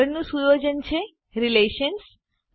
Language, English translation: Gujarati, Next setting is Relations